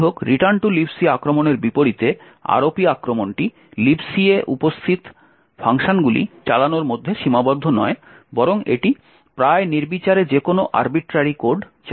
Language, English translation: Bengali, However, unlike the return to libc attack the ROP attack is not restricted to execute functions that are present in libc, rather it can execute almost any arbitrary code